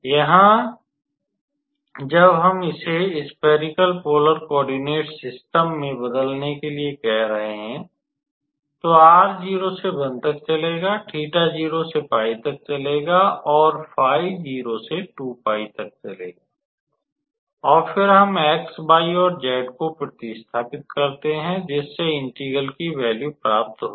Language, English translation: Hindi, So, when we are transforming it into how to say a spherical polar coordinate system or r will run from 0 to 1, theta will run from 0 to pi, and phi will run from 0 to 2 pi, then we substitute for x y axis x y and z and here basically the value of the integral